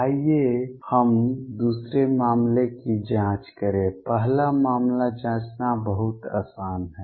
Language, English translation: Hindi, Let us check the second case; first case is very easy to check this one